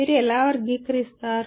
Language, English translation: Telugu, How do you categorize